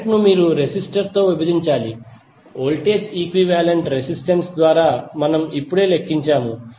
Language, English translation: Telugu, Current you have to just simply divide the resistor, the voltage by equivalent resistance which we have just calculated